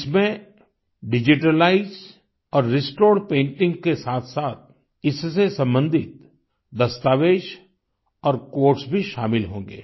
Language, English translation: Hindi, Along with the digitalized and restored painting, it shall also have important documents and quotes related to it